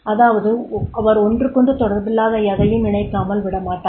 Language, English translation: Tamil, That is he will not be leave any note unconnected